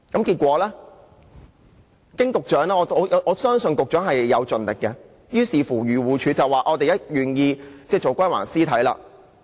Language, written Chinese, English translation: Cantonese, 結果，經局長調解——我相信局長已盡力——漁護署表示願意早日歸還狗屍體給飼主。, In the end thanks to the Secretarys mediation―I believe she must have made lots of efforts―AFCD agreed to an early return of the dead body to its owner . But the story does not end here